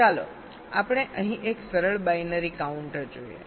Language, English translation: Gujarati, ok, fine, so let us look at a simple binary counter here